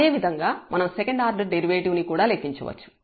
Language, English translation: Telugu, Similarly, we can compute the second order derivative